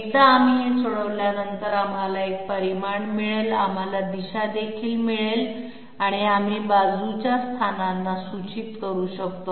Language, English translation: Marathi, Once we solve this, we get a magnitude we have also got the direction and we can pinpoint the sidestep positions